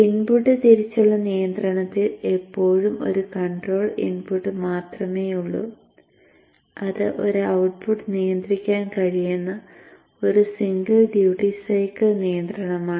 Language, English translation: Malayalam, So therefore still control input wise there is only one control input which is one single duty cycle control which can control one output